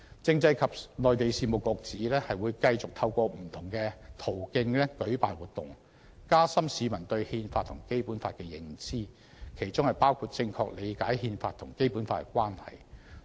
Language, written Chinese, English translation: Cantonese, 政制及內地事務局指會繼續透過不同途徑舉辦活動，加深市民對《憲法》和《基本法》的認知，其中包括正確理解《憲法》和《基本法》的關係。, According to the Constitutional and Mainland Affairs Bureau it will continue to strengthen public awareness of the Constitution and the Basic Law including a correct understanding of the relationship between the Constitution and the Basic Law by organizing activities through various means